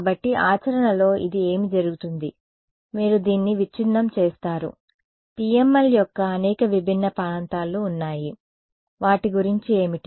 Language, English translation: Telugu, So, this in practice what happens is you break up this there are these many distinct regions of the PML what is distinct about them